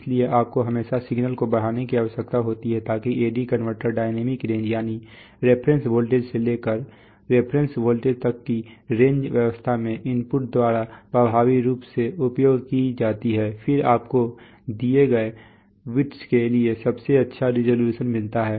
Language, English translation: Hindi, So you need to always amplify the signal so that the A/D converter dynamic range, that is the range between the reference voltage up to the reference voltage is actually effectively utilized by the input then you get the best resolution for a given number of bits